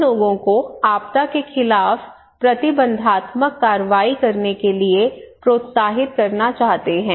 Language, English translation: Hindi, We want to encourage people to take preventive action against disaster